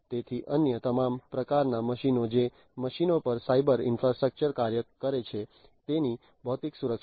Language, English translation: Gujarati, So, other all kinds of machines the physical security of the machines on which the cyber infrastructure operate